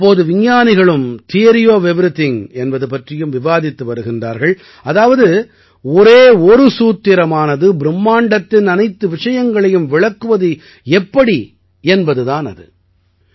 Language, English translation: Tamil, Now scientists also discuss Theory of Everything, that is, a single formula that can express everything in the universe